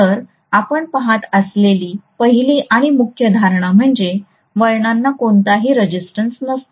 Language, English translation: Marathi, So the first and foremost assumption we are going to make is the windings have no resistance